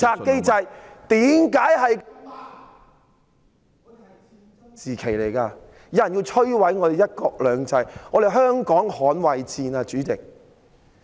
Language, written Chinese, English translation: Cantonese, 現時有人要摧毀我們的"一國兩制"，主席，這是捍衞香港的戰爭。, Now there are people intending to destroy our one country two systems . President this is a battle to defend Hong Kong